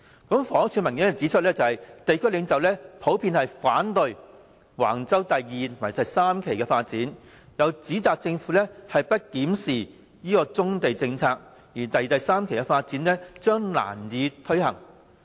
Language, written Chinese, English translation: Cantonese, 房屋署的文件指出，地區領袖普遍反對橫洲第2及3期發展，又指倘若政府不檢視棕地政策，第2及3期的發展將難以推行。, According to documents from the Housing Department these local leaders generally opposed Wang Chau Development Phases 2 and 3 and claimed that Phases 2 and 3 could hardly be implemented if the Government did not review its policy on brownfield sites